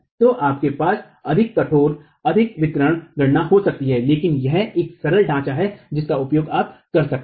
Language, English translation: Hindi, So, you can have more rigorous, more detailed calculations, but this is a simple framework that you could use